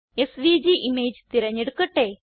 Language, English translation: Malayalam, Lets select SVG image